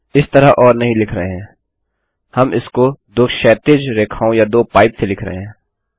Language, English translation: Hindi, Now we dont write it as or we write it as two horizontal lines or two pipes